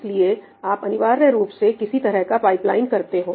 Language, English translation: Hindi, you essentially do some kind of pipeline